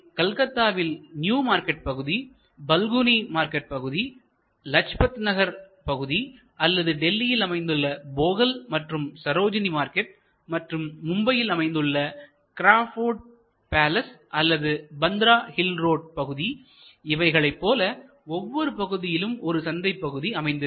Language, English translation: Tamil, So, it may be new marketing Calcutta or Balogun market in Calcutta it can be Lajpat Nagar market or different other local markets like Bogal in Delhi or Sarojini market it will be the Crawford palace or something in Mumbai or it could be the Bandra hill road in Mumbai